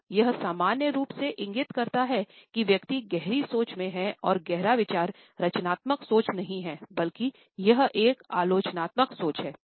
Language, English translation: Hindi, So, it normally indicates the person is in deep thought and is deep thought is not a creative thinking rather it is a critical thinking